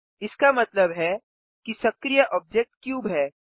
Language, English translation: Hindi, This means that the active object is the cube